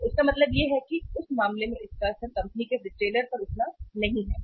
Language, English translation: Hindi, So it means in that case the impact is not that much to the company it is to the retailer